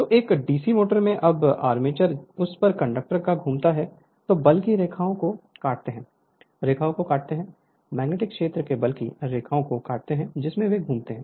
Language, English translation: Hindi, So, in a DC motor when the armature rotates the conductors on it you are what you call cut the lines of force just hold on, cut the line, cut the lines of force of magnetic field in which they revolve right